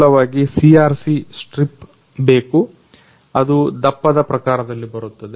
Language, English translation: Kannada, The basic is CRC strip which comes according to the thickness